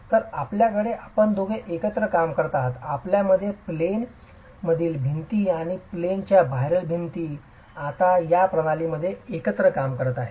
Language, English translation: Marathi, So, you have both working together, you have the in plain walls and the out of plane walls now working together in this sort of a system